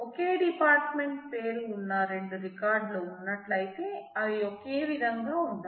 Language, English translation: Telugu, If two records are there which have the same department name, they must be identical